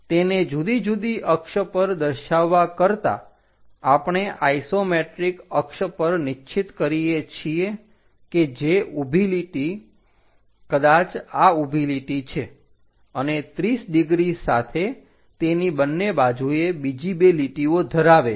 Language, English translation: Gujarati, Rather than showing it on different access, we fix something named isometric access which consists of a vertical line, perhaps this is the vertical line and two others with 30 degrees square on either side of it